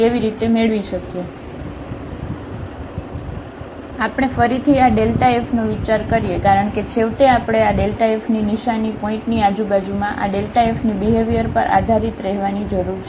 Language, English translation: Gujarati, So, we consider again this delta f because, finally we need to get based on these sign of this delta f, the behavior of this f in the neighborhood of a point